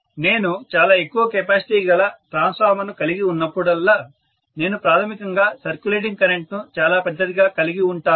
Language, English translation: Telugu, Whenever I have a very high capacity transformer I am going to have basically the circulating current to be extremely large because inherent impedances will be low